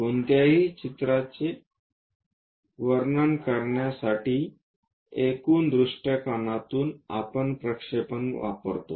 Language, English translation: Marathi, To describe about any picture, in the overall perspective we use projections